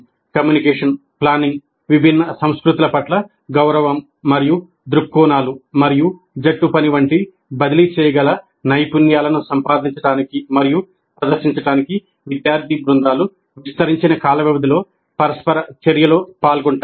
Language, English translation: Telugu, Student teams engage in a series of interaction or extended time periods, leading them to acquire and demonstrate transferable skills such as communication, planning, respect for different cultures and viewpoints and teamworking